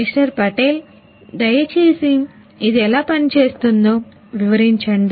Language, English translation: Telugu, Patel could you please explain how it works